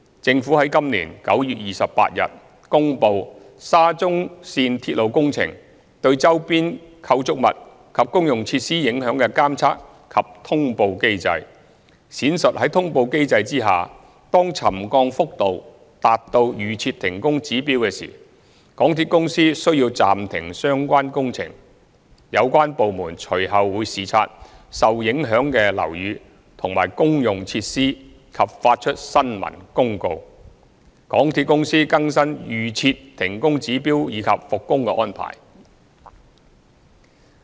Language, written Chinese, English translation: Cantonese, 政府於今年9月28日公布沙中線鐵路工程對周邊構築物及公用設施影響的監察及通報機制，闡述在通報機制下，當沉降幅度達到預設停工指標時，港鐵公司須暫停相關工程，有關部門隨後會視察受影響的樓宇和公用設施及發出新聞公報，港鐵公司更新預設停工指標以及復工的安排。, On 28 September this year the Government promulgated the mechanism to monitor and make announcements on the impact of the SCL Project on nearby structures and public facilities . Under the mechanism MTRCL shall temporarily suspend the part of works which may contribute to the problems when the extent of settlement reaches the pre - set trigger levels for suspension of works . The relevant departments will then carry out inspections of the affected buildings and utilities while issuing press releases to announce the updating of pre - set trigger levels for temporary suspension of works by MTRCL and the arrangement for works resumption